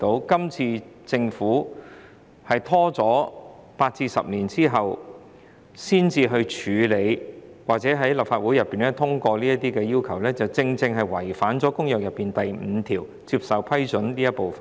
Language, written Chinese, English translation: Cantonese, 今次政府拖延了8至10年才在立法會通過這些要求，正正違反了《公約》第五條，即"接受批准"這部分。, The Government has delayed seeking the passage of these requirements by the Legislative Council for some 8 to 10 years . This precisely violates Article V of the Convention on Acceptance of approval